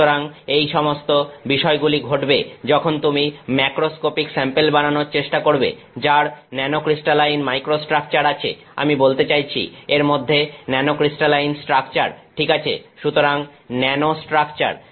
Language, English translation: Bengali, So, these are all issues when you are trying to make a macroscopic sample which has nano crystalline microstructure, I mean nano crystalline structure inside it ok; so, nano structure